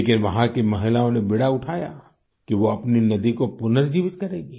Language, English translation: Hindi, But, the womenfolk there took up the cudgels to rejuvenate their river